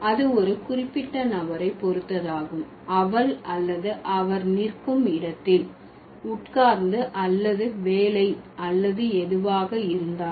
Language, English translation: Tamil, Here would be dependent on a particular person where she or he is standing, sitting or working or whatever